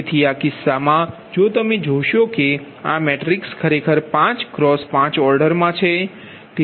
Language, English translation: Gujarati, so in this case, the, if you look in to that, this matrix actually order is five in to a five right